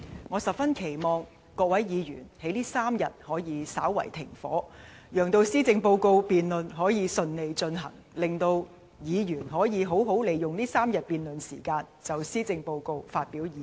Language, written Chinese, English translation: Cantonese, 我十分期望各位議員在這3天可以稍為"停火"，讓施政報告辯論可以順利進行，令議員可以好好利用這3天辯論時間，就施政報告發表意見。, I strongly hope that all Members would briefly observe a ceasefire in these three days so that the policy debate can be successfully conducted . In this way Members can make good use of these three days of debate to express their views on the Policy Address